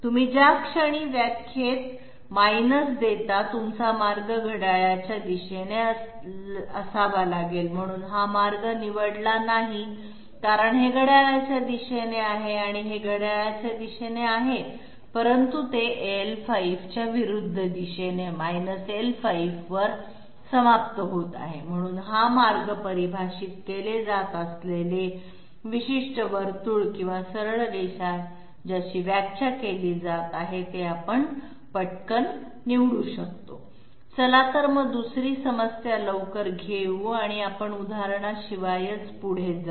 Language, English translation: Marathi, The moment in the definition you are giving minus, your path has to be negative I mean your path has to be clockwise, so this is not chosen because this is, wait a minute this is clockwise, this one is clockwise but it ends up in the opposite direction of L5, it is L5, so this way we can quickly choose the particular circle which is being defined or the straight line which is being defined, let s quickly take just another problem and we will be proceeding without example